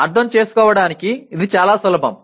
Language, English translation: Telugu, This is fairly simple to understand